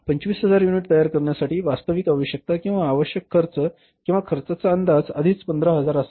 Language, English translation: Marathi, Actual requirement for manufacturing 25,000 units, the cost requirement was or the cost estimates should have been already 15,000